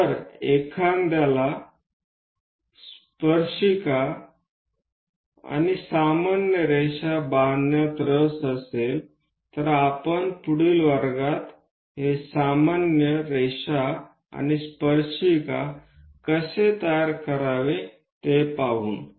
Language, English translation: Marathi, If one is interested in constructing tangent normal, we will see in the next class how to construct this normal and tangent